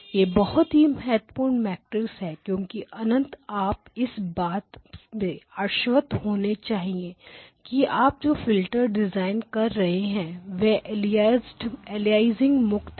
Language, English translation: Hindi, This is a very, very important matrix because ultimately how you design the filters must ensure that aliasing is removed